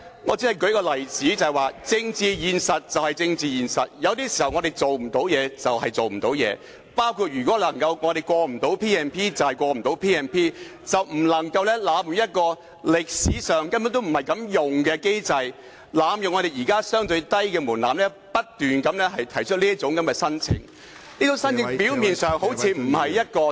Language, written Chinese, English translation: Cantonese, 我只是在舉出例子說明政治現實便是政治現實，有時候事情做不到便是做不到，包括如果不能通過 P&P 便不能通過，但不能濫用這個歷史上根本不是作此用途的機制、濫用現時相對低的門檻，不斷提出申請，而這些申請表面上好像不是一個......, I was only citing an example to explain that political reality is political reality and sometimes when we cannot achieve something then the fact is that we cannot achieve it; likewise if the P P motion is passed it just does not work but we cannot abuse this mechanism which is primarily not intended to be used for such a purpose historically; nor can we abuse the existing relatively low threshold by continuously making requests and on the surface these requests do not appear to be